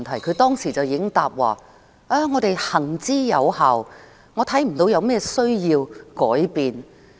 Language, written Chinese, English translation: Cantonese, 她當時已經答稱："有關政策行之有效，我看不到有甚麼需要改變。, At the time she categorically replied The relevant policy has been working well . I do not see any need for change